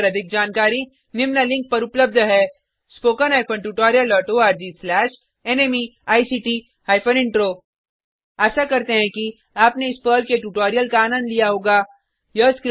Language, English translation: Hindi, More information on this Mission is available at spoken hyphen tutorial dot org slash NMEICT hyphen Intro Hope you enjoyed this Perl tutorial